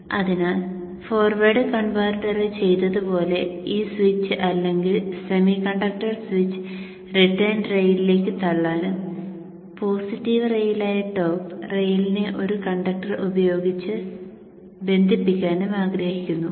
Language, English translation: Malayalam, So like we did in the forward converter we would like to push this switch power semiconductor switch to the return rail and just connect the top rail that is a positive rail by a conductor